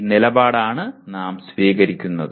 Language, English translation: Malayalam, This is the position we are taking